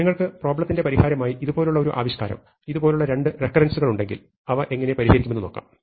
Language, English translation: Malayalam, So, if you have a solution I mean an expression like this two recurrences like this, then how do we solve them